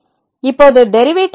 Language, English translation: Tamil, Now, what is the derivative